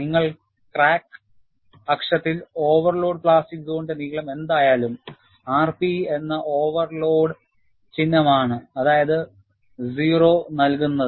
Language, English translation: Malayalam, You have along the crack axis, whatever is the length of the overload plastic zone is given by the symbol r p overload, that is o